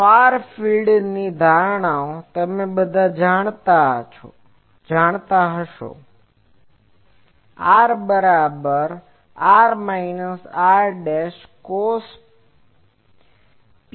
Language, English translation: Gujarati, Now, far field assumptions all you know that R is equal to r minus r dashed cos psi